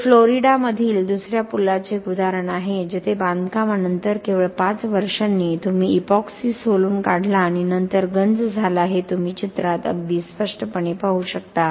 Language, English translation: Marathi, This is an example from another bridge in Florida where this was just 5 years after the construction you have significantly peeling off the epoxy and then corrosion you can very clearly see that on the picture